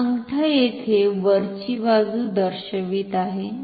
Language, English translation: Marathi, So, the thumb is pointing inwards here